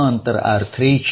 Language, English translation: Gujarati, Let the distance be r3